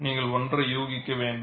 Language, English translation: Tamil, You have to make a guess work